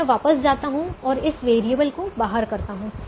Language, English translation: Hindi, so i go back now and push this variable out